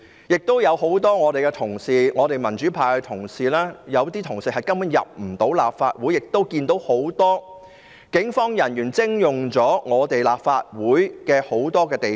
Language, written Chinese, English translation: Cantonese, 有很多民主派同事根本無法進入立法會大樓，又有很多警務人員徵用立法會大量地方。, While many colleagues of the democratic camp could not enter the Complex a lot of police officers took over for use many places of the Complex